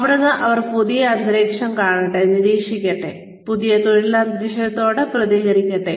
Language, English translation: Malayalam, And, let them see, let them observe, let them respond, to the new working environment